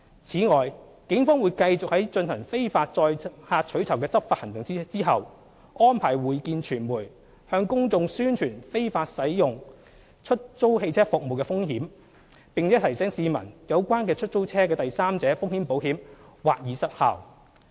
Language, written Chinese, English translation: Cantonese, 此外，警方會繼續在進行非法載客取酬的執法行動後，安排會見傳媒，向公眾宣傳使用非法出租汽車服務的風險，並提醒市民有關出租車的第三者風險保險或已失效。, In addition the Police will continue to arrange stand - up briefings with the media after taking enforcement actions on illegal carriage of passengers for reward . In the briefings the Police will publicize the risks involved in using illegal hire car service and remind citizens that the third party risks insurance for the hire car concerned may be invalidated